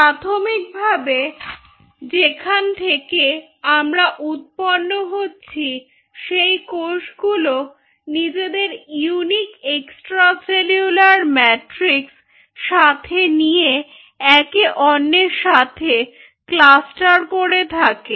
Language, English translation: Bengali, it means the cells from where we are originating they cluster together with that unique extracellular matrix and then eventually the extracellular matrix differentially